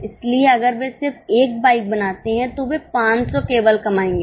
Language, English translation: Hindi, So if they just make one bike, they will only earn 500